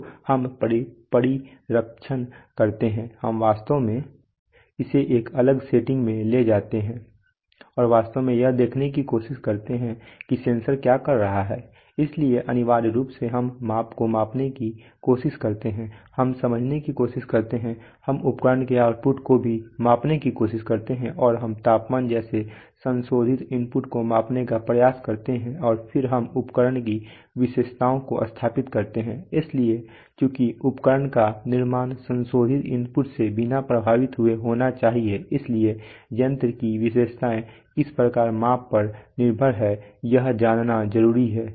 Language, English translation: Hindi, So we do shielding we actually do take it to a different setting and actually try to see what the sensor is doing, so essentially we try to measure the measurand, we try to sense, we try to also measure the output of the instrument and we try to measure modifying inputs like temperature and then we establish the characteristics of the instrument, so since the instrument must have been constructed, to be you know relatively unaffected by modifying input, so I mean generally what is of much more importance of primary importance is to see how the instrument characteristics are dependent on the measurand right